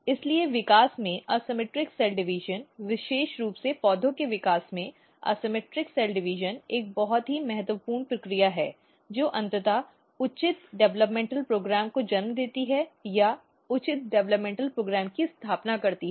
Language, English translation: Hindi, So, in development asymmetric cell division particularly in plant development, asymmetric cell division is one very very important process and which is eventually giving rise to the proper developmental program or establishing proper developmental program